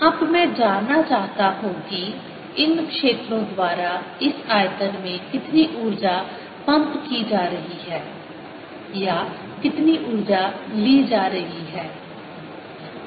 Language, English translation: Hindi, what i want to know now is how much energy is being pumptined by these fields into this volume, or how much energy is being taken away